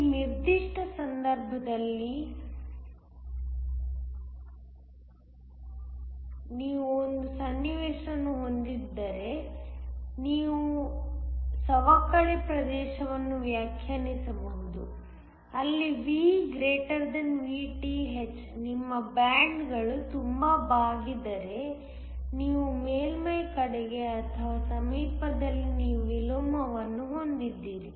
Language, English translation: Kannada, In this particular case, V < Vth so that you can define a depletion region if you have a situation, where V > Vth, your bands have bent so much that towards or near the surface you have inversion